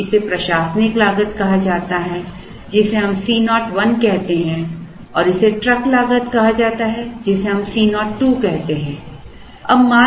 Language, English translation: Hindi, Now, this is called the administrative cost which we call as C 0 1 and this is called the truck cost, which is called as C 0 2